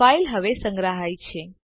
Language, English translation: Gujarati, So the file is now saved